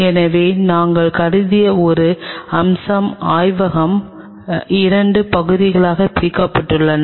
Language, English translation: Tamil, So, one aspect what we have considered is the lab is divided into 2 parts